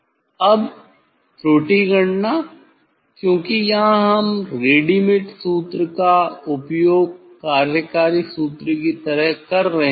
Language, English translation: Hindi, Now error calculation because here readymade formula we are using working formula